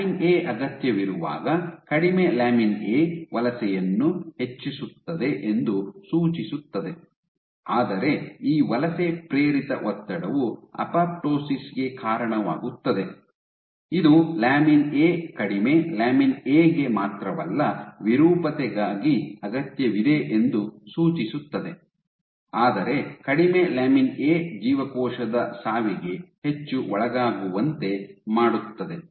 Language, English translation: Kannada, So, suggesting that while lamin A is needed low lamin A enhances migration, but this migration induced stress leads to apoptosis suggesting that the lamin A not only is needed for lower lamin A is needed for deformability, but lower lamin A makes the cells more susceptible to cell death